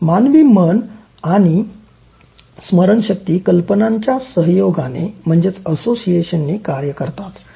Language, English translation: Marathi, Human mind and memory work through association of ideas